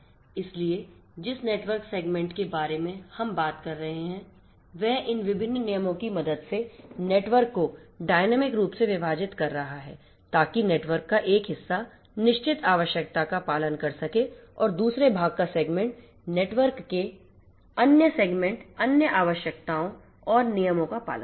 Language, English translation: Hindi, So, network segmentation we are talking about segment is segmenting the network dynamically with the help of these different rules to have one part of the network follow certain requirement and the other part the segment other segments of the network follow other requirements and rules